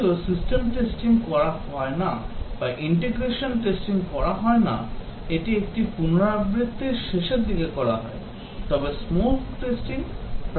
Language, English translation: Bengali, Even though system testing is not done or integration testing is not done these are done towards the end of an iteration, but smoke testing is done frequently